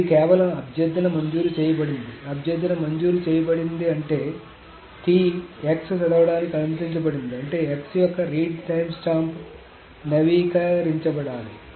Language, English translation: Telugu, Request is granted meaning that T is allowed to read X which also means that the read timestamp of X may be need to be updated